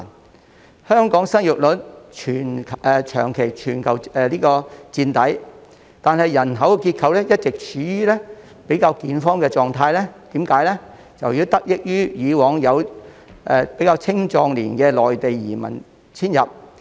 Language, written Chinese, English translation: Cantonese, 雖然香港的生育率長期在全球墊底，但人口結構一直處於較健康的狀態，這是由於以往有青壯年的內地移民遷入。, Although the fertility rate of Hong Kong remains one of the lowest in the world our demographic structure has been relatively healthy . This is attributable to the immigration of young and middle - aged people from the Mainland in the past